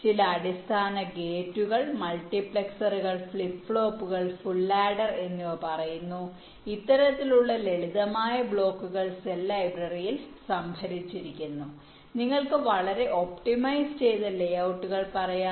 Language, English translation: Malayalam, some of them are shown, some that the basic gates, multiplexers, flip plops say, say full header, this kind of simple blocks are stored in the cell library in terms of, you can say, highly optimized layouts